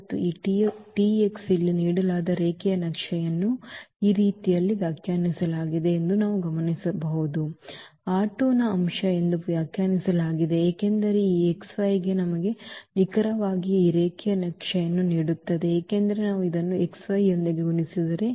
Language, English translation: Kannada, And we note that now that this T x the given linear map here which was defined in this way we can also defined as A and this element of this R 2 because this a into this x y will exactly give us this linear map because if we multiply A with this x y